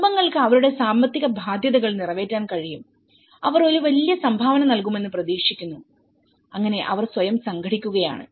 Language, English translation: Malayalam, Families able to meet their economic obligations and they are expected to as they will be expected to make a hefty contribution so in that way they have been organizing themselves